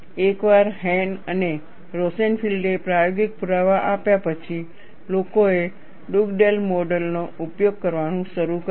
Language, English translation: Gujarati, Once Hahn and Rosenfield provided the experimental evidence, people started using Dugdale mode